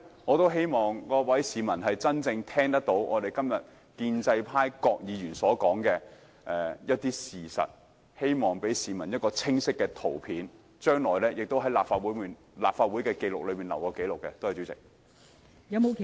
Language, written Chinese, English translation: Cantonese, 我希望各位市民真正聆聽建制派議員所說的事實，希望給市民清晰的圖像，並記錄在立法會會議紀錄上。, I hope that the public will really listen to the facts as told by pro - establishment Members and form a clear picture of what is happening and that these things will be recorded in the Record of Official Proceedings of the Legislative Council